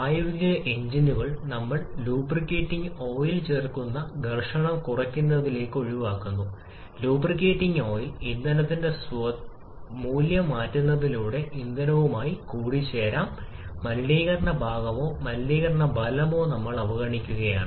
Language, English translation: Malayalam, In practical engines in order to avoid to reduce the friction we add lubricating oil and this lubricating oil can get mixed up with the fuel by changing a property of the fuel itself, that contamination part or contamination effect also we are neglecting